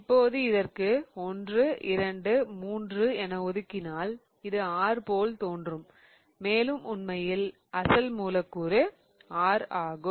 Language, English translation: Tamil, Now, if I assign 1, 2 3, it looks like R and this in fact the starting molecule will be R itself